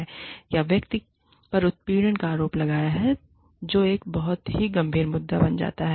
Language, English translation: Hindi, Or, the person has been accused, of harassment, that becomes, a very serious issue